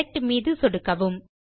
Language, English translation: Tamil, Now click on Select